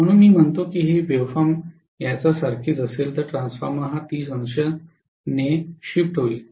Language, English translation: Marathi, So if I say that this wave form is like this for the next transformer it will be actually 30 degree shifted